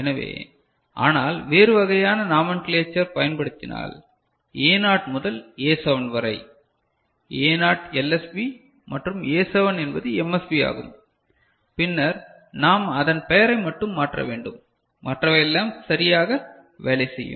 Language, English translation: Tamil, So but we know that if a different kind of nomenclature is used A naught to A7, A naught LSB and A7 is MSB, then we just need to change the naming of it and the things will work out ok